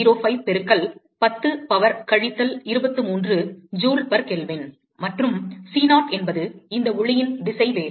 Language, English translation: Tamil, 3805 into 10 power minus 23 joule per kelvin, and c0 is this speed of light